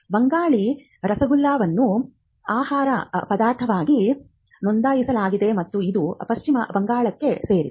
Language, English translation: Kannada, Banglar rasogolla which is the Bengali rasogolla which is registered as a food stuff and which belongs to West Bengal